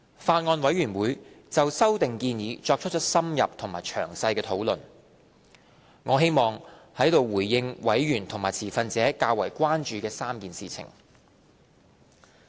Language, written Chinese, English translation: Cantonese, 法案委員會就修訂建議作出了深入和詳細的討論，我希望在此回應委員和持份者較為關注的3件事情。, In view of the in - depth and detailed discussion of the Bills Committee on the proposed amendments here I would like to respond to the three major concerns raised by members and stakeholders